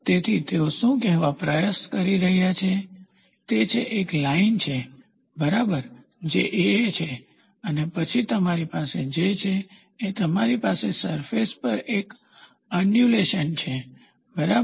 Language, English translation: Gujarati, So, what they are trying to say is there is a line, ok, which is AA and then what you have is you have an undulation on the surface, ok